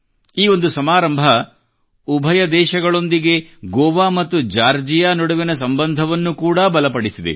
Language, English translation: Kannada, This single ceremony has not only strengthened the relations between the two nations but as well as between Goa and Georgia